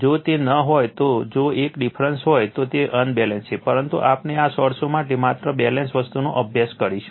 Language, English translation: Gujarati, If it is not if one of the difference, then it is unbalanced but, we will study only balanced thing for this source right